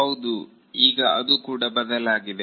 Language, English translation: Kannada, Yes, that has also changed now